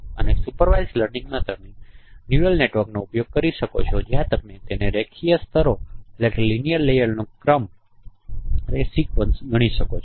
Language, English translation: Gujarati, And supervised learning you can use the neural network where you can consider it's a sequence of linear layers